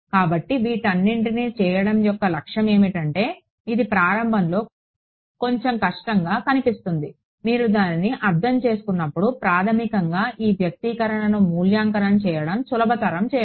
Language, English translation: Telugu, So, I mean the objective of doing all of this, it looks a little tedious to begin with, when you get the hang of it, it is basically to simplify evaluating this expression right